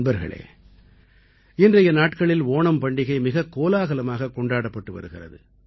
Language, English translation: Tamil, Friends, these days, the festival of Onam is also being celebrated with gaiety and fervour